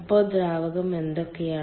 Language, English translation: Malayalam, so what are the fluids